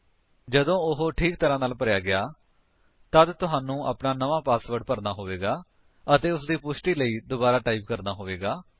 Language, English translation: Punjabi, When that is correctly entered, you will have to enter your new password and then retype it to confirm